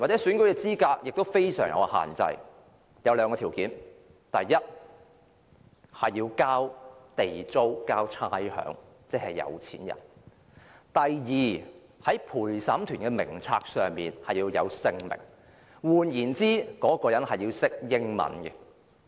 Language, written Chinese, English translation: Cantonese, 選民資格也非常有限制，有兩項條件，第一，你要繳交地租和差餉，即是有錢人；第二，在陪審團的名冊上要有你的姓名，換言之，你要懂英語。, The suffrage was severely restricted with two qualifications . First you must be paying Government rent and rates meaning that you must be rich . Second your name must be on the list of jurors meaning that you must know English